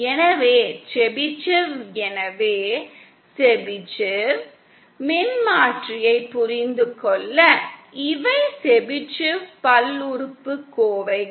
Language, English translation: Tamil, So the Chebyshev so in order to understand the Chebyshev transformer, these are the Chebyshev polynomials